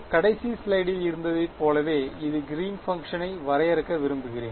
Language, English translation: Tamil, I will like this define Green’s function very simply like from the last slide